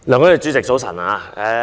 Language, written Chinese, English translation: Cantonese, 梁君彥主席，早晨。, President Andrew LEUNG good morning